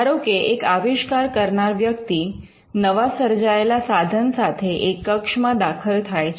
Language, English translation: Gujarati, Say, an inventor walks into your room with this gadget which he has newly invented